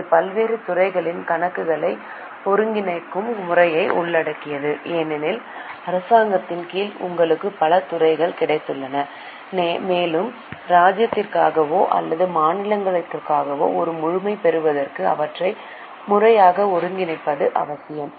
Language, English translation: Tamil, It covers the method of consolidation of accounts of various departments because under government you have got so many departments and to get a complete picture for the kingdom or for the state it is necessary to consolidate them properly